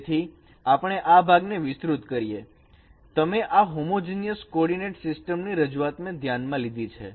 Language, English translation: Gujarati, So you consider a representation of a circle in the homogeneous coordinate system